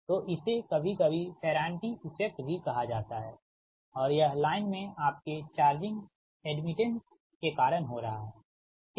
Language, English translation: Hindi, this, this is some time, this is called ferranti effect and this, this, this is happening because of your charging admittance in the line, right